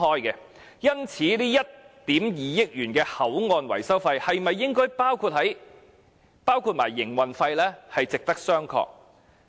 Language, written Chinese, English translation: Cantonese, 因此，這1億 5,000 萬元的口岸維修費應否包含營運費，是值得商榷的。, Therefore whether the 150 million maintenance cost of the HKBCF should include the operating cost is a matter worth a discussion